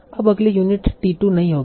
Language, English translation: Hindi, Now the next unit will not be directly T2